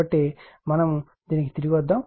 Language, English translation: Telugu, So, , we will come back to this